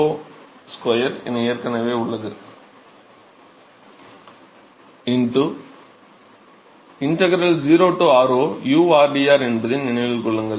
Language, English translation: Tamil, Remember that is 2 by r0 square into integral 0 to r0 u rdr